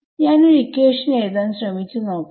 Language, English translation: Malayalam, So, I am just trying to write down one equation ok